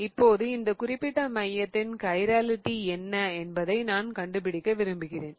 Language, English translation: Tamil, Now, in the next one I want to figure out what is the chirality of this particular center here